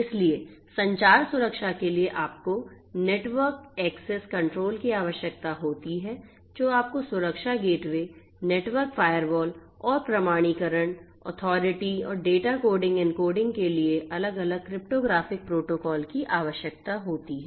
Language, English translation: Hindi, So, for communication protection, communication security you need to have suitable network access control you need to have security gateways, network firewalls and also different cryptographic protocols for authentication, authorization and data coding encoding